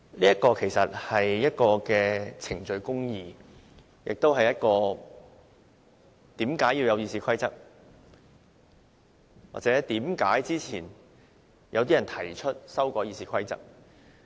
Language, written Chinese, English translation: Cantonese, 這其實是程序公義，亦是為何要有《議事規則》，或為何先前有人提出修改《議事規則》。, This is procedural justice . This is the reason for the existence of the Rules of Procedure RoP and the reason for some people proposing to amend RoP some time ago